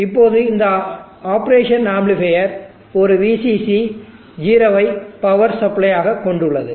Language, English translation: Tamil, Now let us say this op amp is having a VCC and 0 as the power supply